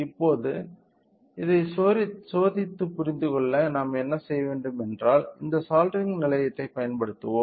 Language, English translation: Tamil, Now, in order to understand the testing of this one what we do is that we use this soldering station